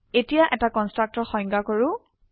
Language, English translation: Assamese, Now let us define a constructor